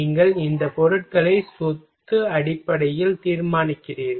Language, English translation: Tamil, You just judge these materials on property basis